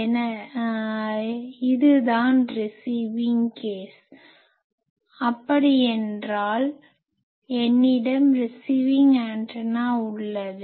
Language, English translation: Tamil, So, this is a receiving case; that means I have a receiving antenna